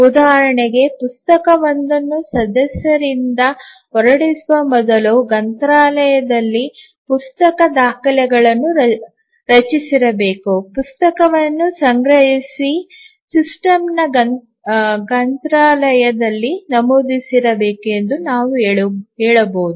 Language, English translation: Kannada, For example, we might say that in a library before a book can be issued by a member the book records must have been created, the book must have been procured and entered in the systems library